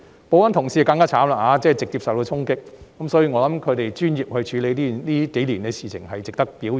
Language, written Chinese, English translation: Cantonese, 保安同事更可憐，直接受到議員衝擊，所以，我認為他們專業地處理這數年的事情，是值得表揚的。, The security staff were even more helpless as they were directly confronted by those Members . So I think their professionalism in handling chaos in these few years is worthy of commendation